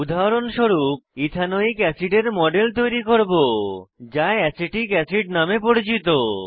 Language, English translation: Bengali, As an example, we will create a model of Ethanoic acid, commonly known as Acetic acid